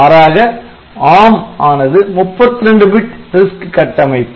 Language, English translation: Tamil, So, unlike arm which is a 32 bit RISC architecture